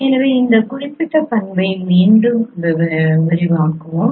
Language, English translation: Tamil, So let us again elaborate this particular property